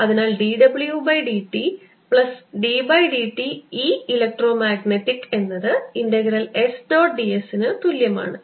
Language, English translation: Malayalam, so d w t by d t plus d by d t of e, electromagnetic is equal to integral s dot d s is seen to be satisfied